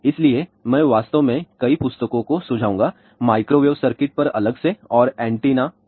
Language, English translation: Hindi, So, I would actually recommend several books on microwave circuits separately and antennas separately